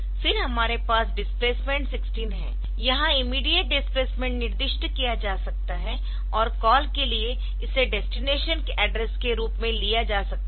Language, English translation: Hindi, We have displacement 16 the immediate value immediate displacement can be specified, and that can be executed in the that can taken as the destination address for call